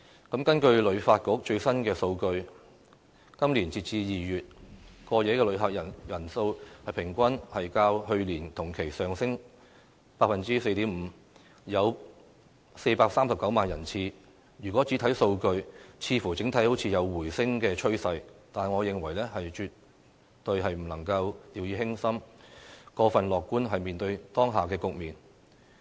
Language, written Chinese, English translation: Cantonese, 根據香港旅遊發展局最新的數據，今年截至2月，過夜的旅客人數平均較去年同期上升 4.5%， 有439萬人次，如果只看數據，似乎整體有回升趨勢，但我認為絕對不能掉以輕心，過分樂觀面對當下局面。, According to the latest statistics released by the Hong Kong Tourism Board as at this February there were 4.39 million overnight visitor arrivals representing an increase of 4.5 % over the same period last year . While there seems to be an overall rebound in the number of visitors if we only look at the figures we cannot afford to be complacent and overly optimistic about the current situation . A survey published by Youth IDEAS